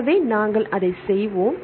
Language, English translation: Tamil, So, we will do that